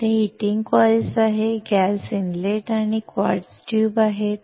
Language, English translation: Marathi, There are heating coils, gas inlet here and a quartz tube